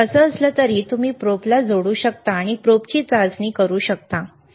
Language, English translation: Marathi, So, so anyway, this is how you can connect the probe and test the probe, all right